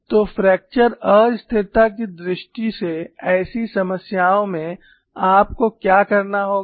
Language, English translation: Hindi, So, in such problems from fracture instability point of view, what you will have to do